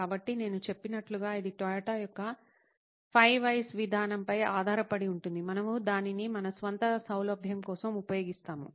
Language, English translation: Telugu, So like I said this is based on Toyota’s 5 Whys approach, we will use it for our own convenience